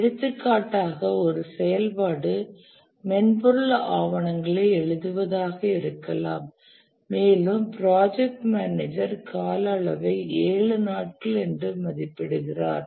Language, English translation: Tamil, For example, the activity may be to write software documentation and the project manager estimates the duration to be, let's say, seven days